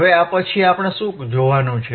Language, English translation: Gujarati, Now, after this, what we have to see